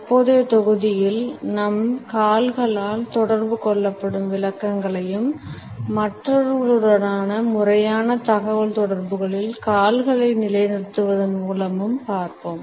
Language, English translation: Tamil, In the current module we would look at the interpretations which are communicated by our feet and by the positioning of legs in our formal communication with others